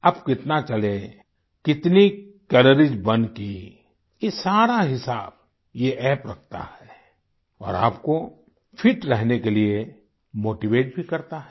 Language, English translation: Hindi, This is a fitness app and it keeps a track of how much you walked, how many calories you burnt; it keeps track of the data and also motivates you to stay fit